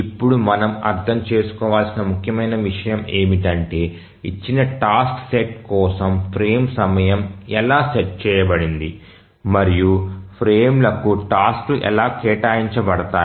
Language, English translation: Telugu, Now the important thing that we must understand is that how is the frame time set for a given task set and how are tasks assigned to frames